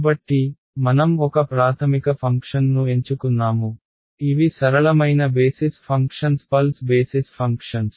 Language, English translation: Telugu, So, we have chosen a basis function which are the simplest basis functions pulse basis functions